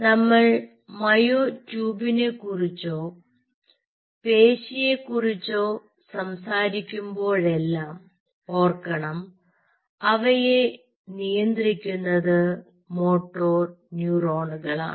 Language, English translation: Malayalam, so whenever we talk about ah, myotube or a muscle, they are governed by motor neurons